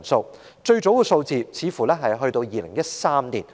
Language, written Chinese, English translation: Cantonese, 這項資料的最早數字似乎只追溯至2013年。, The survey seems to have traced the figures up to 2013 only